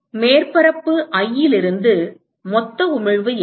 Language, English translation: Tamil, what is the total emission from surface i